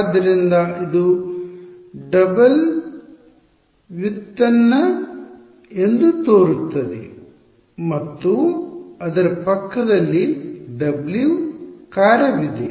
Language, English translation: Kannada, So, there is a it seems to be a double derivative right and there is a W function next to it right